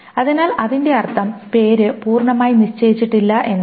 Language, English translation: Malayalam, So that means name is not fully determined